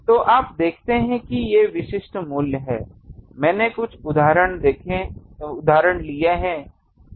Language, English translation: Hindi, So, you see these are the typical values; some examples I have taken